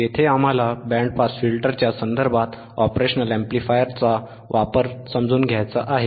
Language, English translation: Marathi, Here, we want to understand the application of the operational amplifier in terms of band pass filters